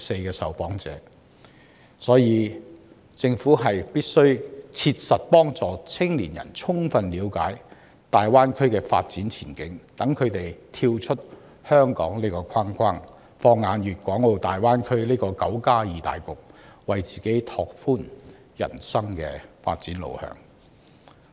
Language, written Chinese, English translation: Cantonese, 因此，政府必須切實協助青年人充分了解大灣區的發展前景，讓他們跳出香港這個框框，放眼大灣區這個"九加二"大局，為自己拓闊人生的發展路向。, The Government should therefore provide concrete support to young people so that they can have a full picture about the development prospects of the Greater Bay Area . They will then be able to see beyond Hong Kong look ahead to the nine plus two region in the Greater Bay Area and open up a wider path for their career development